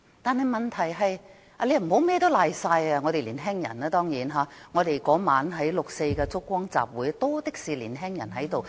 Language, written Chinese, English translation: Cantonese, 當然，不可以把甚麼問題都推到年輕人身上，六四燭光晚會當晚多的是年輕人。, Well we must not attribute all problems to young people as young people constituted the majority of those present at this years 4 June candlelight vigil